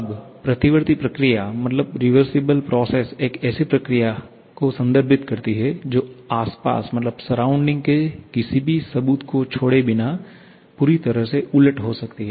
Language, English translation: Hindi, Now, the reversible process refers to a process that can completely be reversed without leaving any trace of proof on the surrounding